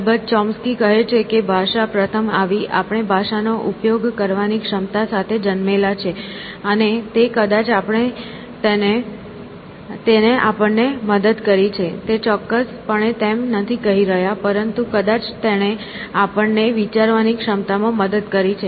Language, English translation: Gujarati, So, Chomsky, of course, so, he is saying that language came first; that we are born with the ability to use language, and may be that helped us, of course; he is not saying that, but may be that helped us in our ability to think essentially